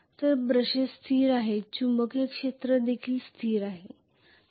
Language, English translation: Marathi, So brushes are stationary the magnetic field will also be stationary